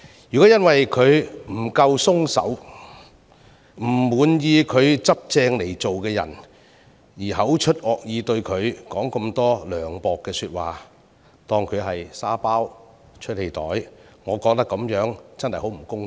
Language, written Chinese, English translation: Cantonese, 如果因他處事不夠寬鬆和不滿他依規矩辦事而口出惡言，說盡涼薄的話，把他當成"沙包"或"出氣袋"，我認為真的很不公道。, I think it is grossly unfair of them to take it out on him with torrents of harsh words and mean remarks as if he were a sandbag or punch bag just because they are offended by his lack of leniency and adherence to rules